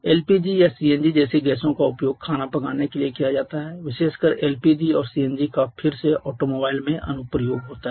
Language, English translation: Hindi, Like LPG or CNG they are used for cooling or cooking purposes particularly little piece you hear a CNG again has application in automobiles